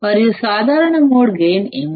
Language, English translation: Telugu, And what is the common mode gain